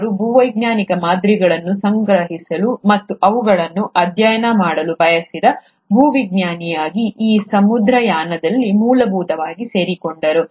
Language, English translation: Kannada, He essentially joined this voyage as a geologist who wanted to collect geological specimens and study them